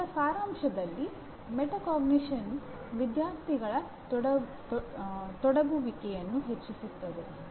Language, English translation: Kannada, Now in summary, what do we, what do we say metacognition can increase student engagement